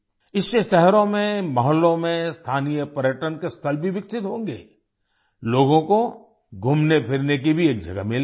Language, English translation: Hindi, With this, local tourist places will also be developed in cities, localities, people will also get a place to walk around